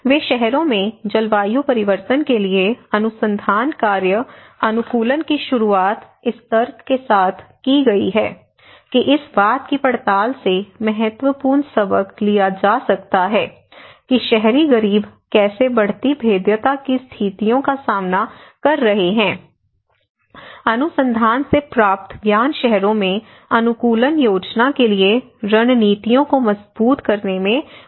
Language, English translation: Hindi, They research work adaptation to climate change in cities has been initiated with the argument that significant lessons can be drawn from examining how the urban poor are coping with conditions of increased vulnerability, knowledge gained from the research can help to strengthen strategies for adaptation planning in cities